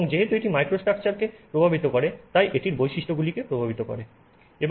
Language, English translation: Bengali, And because it affects the microstructure, it affects properties